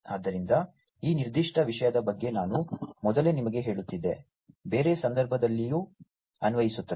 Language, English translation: Kannada, So, earlier I was telling you about this particular thing, in a different context as well